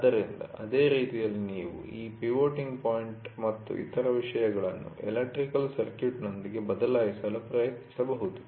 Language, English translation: Kannada, So, in the same way, you can also try to change this pivoting point and other things with an electrical circuit